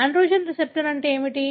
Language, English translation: Telugu, So, what is androgen receptor